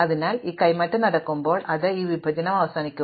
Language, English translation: Malayalam, So, when this exchange happens, then we terminate this partition